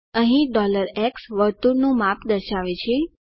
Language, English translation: Gujarati, Here $x represents the size of the circle